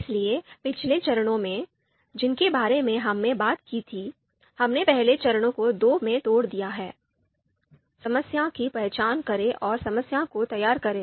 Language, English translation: Hindi, So the in the previous you know steps that we talked about, so we have broken down broken down the first step into two here: identify the problem and formulate the problem